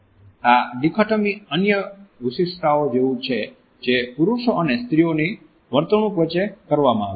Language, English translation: Gujarati, This dichotomy is similar to other distinctions which have been made between the behavior patterns of men and women